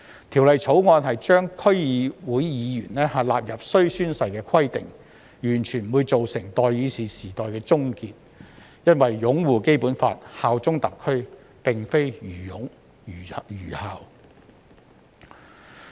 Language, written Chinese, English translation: Cantonese, 《條例草案》規定區議會議員必須宣誓，不會造成代議士時代的終結，因為擁護《基本法》、效忠特區，並非愚擁、愚效。, The requirement for DC members to take an oath under the Bill will not bring an end to the era of elected representatives because upholding the Basic Law and bearing allegiance to SAR is in no way blind devotion